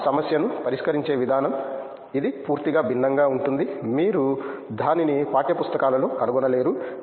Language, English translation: Telugu, The way they look at the problem, it’s totally different you cannot find that in the text books